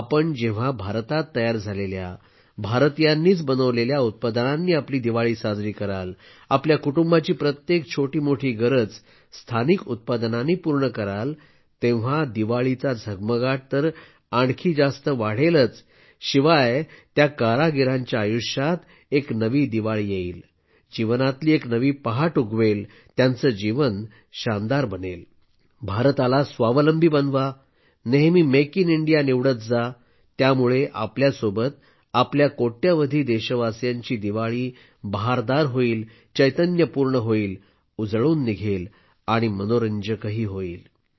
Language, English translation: Marathi, Friends, when you brighten up your Diwali with products Made In India, Made by Indians; fulfill every little need of your family locally, the sparkle of Diwali will only increase, but in the lives of those artisans, a new Diwali will shine, a dawn of life will rise, their life will become wonderful